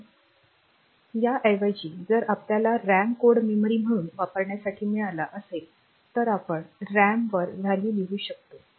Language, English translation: Marathi, So, instead of that if we have got RAM to be used as the code memory as well then we can just write the we can just write the values on to the RAM